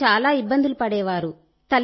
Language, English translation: Telugu, The children used to face a lot of trouble